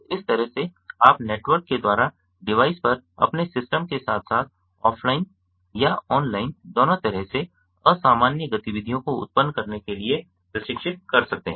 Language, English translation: Hindi, so in this way you can train your system, both on the device as well as offline or online on the network, to generate abnormal activities